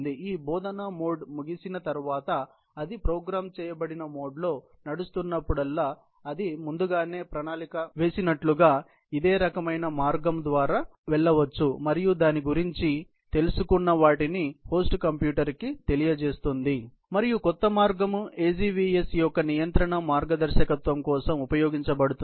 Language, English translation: Telugu, Whenever it is running on a programmed mode after this teach mode is over, it can actually go through the similar kind of a route as has been planned earlier and then, informs the host computer what it has learned about, and the new path is used for control guidance of the AGVS so on and so forth